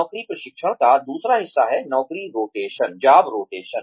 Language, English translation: Hindi, The other part of, on the job training is, job rotation